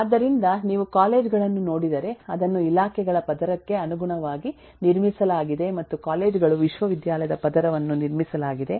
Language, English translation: Kannada, so if you look at colleges then it is built in terms of the layer of departments and colleges go in terms of building the university layer